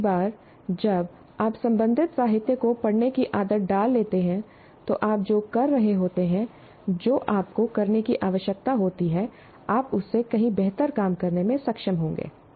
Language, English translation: Hindi, Once you get into the habit of reading, literature related to that, you will be able to do much better job of what you would be doing, what you need to do